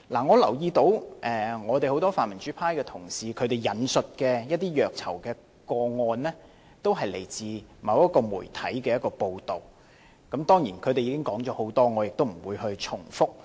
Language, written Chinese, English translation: Cantonese, 我留意到很多泛民主派同事引述的一些虐囚個案，都是來自某個媒體的報道，當然，他們已經說了很多，我亦不會重複。, I note that many Members from the pan - democratic camp have quoted some cases of mistreatment of prisoners which all come from the coverage of a certain media . Sure enough they have already spoken a lot about the cases and I am not going to repeat the details